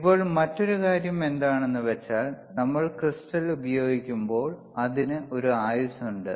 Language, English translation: Malayalam, So, now another point is that, when we are using crystal it has a, it has a lifetime